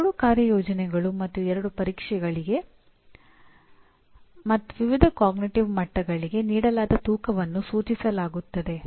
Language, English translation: Kannada, There are two assignments and two tests and the weightage as given for various cognitive levels is as indicated